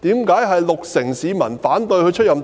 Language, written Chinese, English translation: Cantonese, 為甚麼六成市民反對她出任特首？, Why would 60 % of the public oppose her to be the Chief Executive?